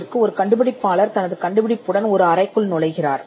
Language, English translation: Tamil, Say, an inventor walks into your room with this gadget which he has newly invented